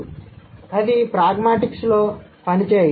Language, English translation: Telugu, So, that doesn't work in pragmatics or in meaning